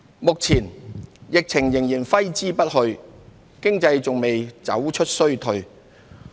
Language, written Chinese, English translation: Cantonese, 目前，疫情仍揮之不去，經濟還未走出衰退。, With the epidemic still lingering our economy is yet to come out of recession